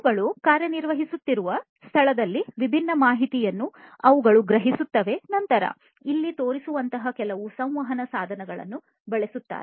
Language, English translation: Kannada, They will sense different information in the place where they are operating and then using certain communication devices like the ones shown over here